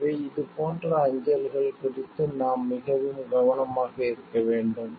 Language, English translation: Tamil, So, those we need to be very very careful about these type of mails